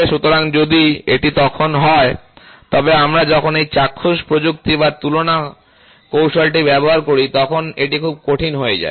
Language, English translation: Bengali, So, if this is the case then, it becomes very difficult when we use this visual technique or comparison technique